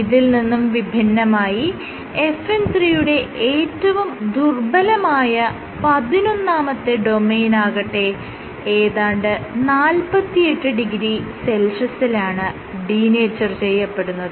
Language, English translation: Malayalam, So, the weakest among the weakest domain is the eleventh domain of FN 3 module, which denatures at 48 degree Celsius